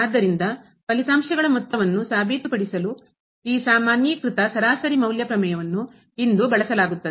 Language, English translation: Kannada, So, this generalized mean value theorem will be used today to prove sum of the results